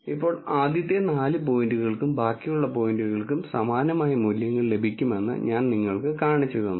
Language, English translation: Malayalam, Now, I have shown you only for the first four points you will also get similar values for the remaining points